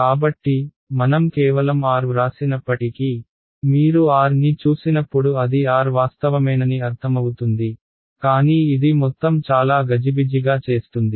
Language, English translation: Telugu, So, even though I have written just r, it is understood that when you see r it is actually r with vector on top, but it makes the whole thing very clumsy